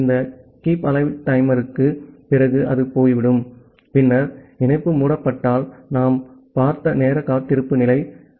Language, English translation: Tamil, So, after this Keepalive timer it will go off and then the time wait state which we have seen in case of connection closure